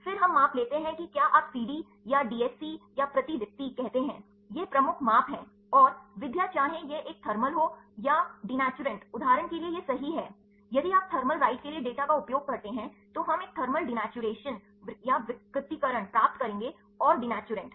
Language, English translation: Hindi, Then we get the measures whether you say CD or DSC or fluorescence these are the major measurements and, the methods whether this is a thermal or the denaturant right for example, if you use the data for the thermal right, we will get a thermal denaturation and the denaturant right